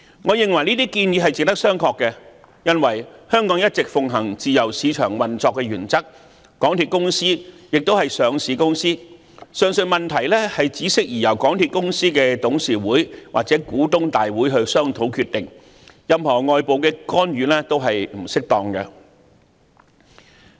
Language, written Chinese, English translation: Cantonese, 我認為這些建議值得商榷，因為香港一直奉行自由市場運作的原則，港鐵公司亦是上市公司，上述問題只適宜由港鐵公司董事局或股東大會商討決定，任何外部干預均是不適當的。, I consider the idea questionable because Hong Kong has all along upheld the principles of a free market economy and given that MTRCL is a listed company the aforementioned matter should more appropriately be decided by the Board of MTRCL or shareholders meetings after discussions . Any external interventions will be undesirable